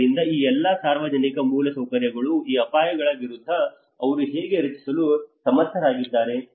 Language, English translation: Kannada, So all this public infrastructure, how they are able to protect against these hazards